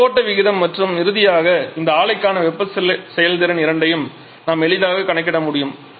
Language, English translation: Tamil, So, we can easily calculate both the mass flow rate and finally the thermal efficiency for this plant